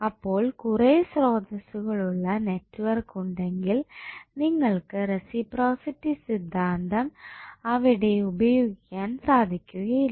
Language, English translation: Malayalam, So, if there is a network were multiple sources are connected you cannot utilize the reciprocity theorem over there